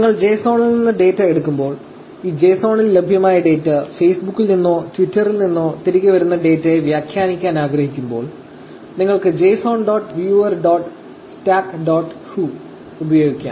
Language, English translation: Malayalam, So, when you take the data from JSON, and when you want to interpret the data that is available in this JSON, data that is coming back from Facebook or Twitter, you can actually use JSON dot viewer dot stack dot hu